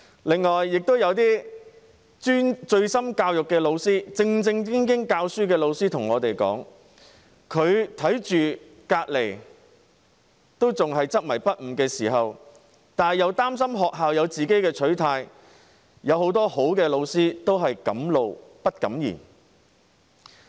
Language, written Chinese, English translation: Cantonese, 另外，有些醉心教育、正正經經教書的老師向我們說，即使看到同事仍然執迷不悟，由於擔心學校有自己的取態，很多好老師都是敢怒不敢言。, In addition some teachers who are dedicated to education and discharge their duties properly have told us that despite seeing the intransigence of their colleagues many good teachers invariably choke with silent fury for they are worried that the school may have its own position